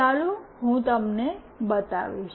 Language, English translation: Gujarati, Let me show you